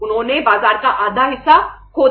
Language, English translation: Hindi, They lost half of the market